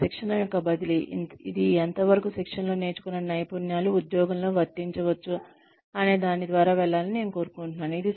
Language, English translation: Telugu, I would like you to go through, the transfer of training, which is the extent to which, competencies learnt in training, can be applied on the job